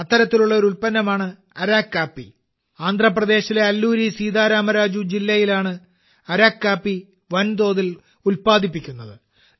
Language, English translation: Malayalam, Araku coffee is produced in large quantities in Alluri Sita Rama Raju district of Andhra Pradesh